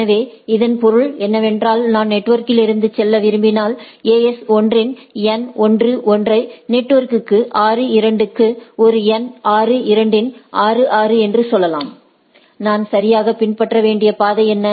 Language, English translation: Tamil, So that means, if I want to go from network say n 1 1 of AS 1 to network 6 2 of a n 6 2 of say a 6 then, what are the path I need to follow right